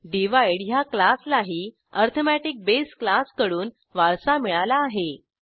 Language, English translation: Marathi, Then we have class Divide this also inherits the base class arithmetic